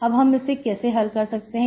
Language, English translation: Hindi, So how do we solve this